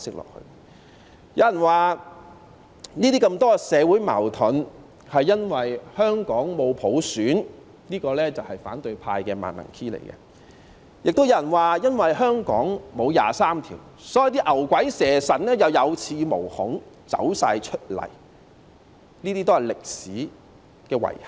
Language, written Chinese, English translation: Cantonese, 有人說這麼多社會矛盾是因為香港沒有普選，這也是反對派的"萬能 key"， 亦有人說因為香港沒有就《基本法》第二十三條立法，所以那些牛鬼蛇神可以有恃無恐，全部走出來，這些也是歷史的遺憾。, Some people said that there are so many conflicts in society because Hong Kong does not have universal suffrage and this is also a universal template of the opposition camp . Some people said that it is because Hong Kong has not enacted legislation on Article 23 of the Basic Law and therefore those demons and monsters are emboldened and have all come out . These are regrets in history